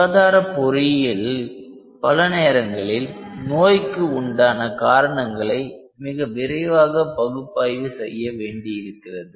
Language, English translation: Tamil, So, in health care engineering many times what we require is rapid diagnosis of a disease